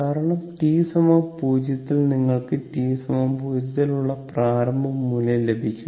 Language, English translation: Malayalam, Because at t is equal to t 0, you have to get the initial value that is at t 0 that is it 0